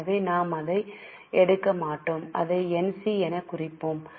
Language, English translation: Tamil, So, we will put it as NC